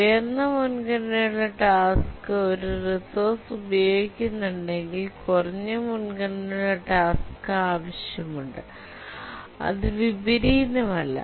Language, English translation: Malayalam, If a higher priority task is using a resource, the lower priority task need to wait